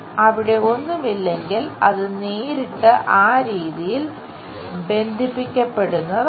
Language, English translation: Malayalam, If there is nothing, it will be straight away connected in that way